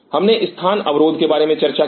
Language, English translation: Hindi, We talked about the space constraint